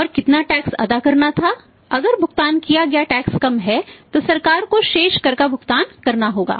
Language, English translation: Hindi, And how much tax was due to be paid if yes paid less tax will pay the balance tax to the government